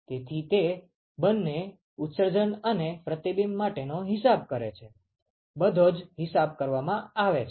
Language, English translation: Gujarati, So, that accounts for both emission and reflection, everything is accounted